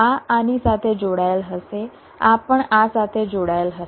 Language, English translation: Gujarati, this will be connected to this